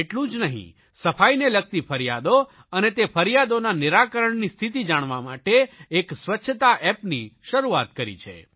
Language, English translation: Gujarati, Not only this, a cleanliness, that is Swachchhata App has been launched for people to lodge complaints concerning cleanliness and also to know about the progress in resolving these complaints